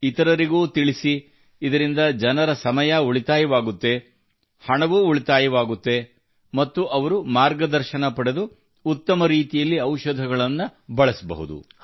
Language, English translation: Kannada, Tell others too so that their time is saved… money too is saved and through whatever guidance they get, medicines can also be used in a better way